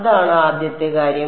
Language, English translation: Malayalam, That’s the first thing